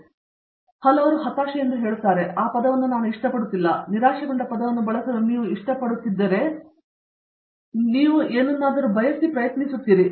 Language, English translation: Kannada, So, many people say frustration, I donÕt like that word, I prefer to use the word disappointment you try something it doesnÕt work out you are disappointed, you want to try something else